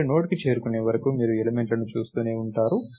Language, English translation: Telugu, You keep looking at elements till you reach the Node, right